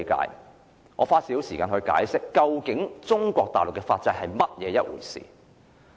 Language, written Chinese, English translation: Cantonese, 讓我花少許時間解釋中國大陸的法制。, Let me spend some time on explaining the legal system of Mainland China